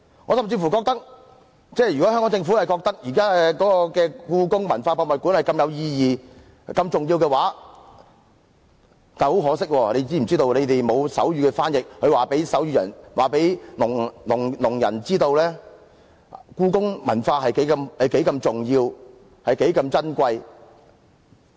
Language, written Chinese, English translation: Cantonese, 我甚至認為，香港政府認為現時的故宮文化博物館如此有意義及重要，但可惜當局並無手語翻譯，無法告訴聾人故宮文化有多重要、有多珍貴。, I even think The Government thinks that the Hong Kong Palace Museum is very meaningful and important but the authorities have not provided any sign language interpretation and are thus unable to tell deaf people how important and valuable the Hong Kong Palace Museum is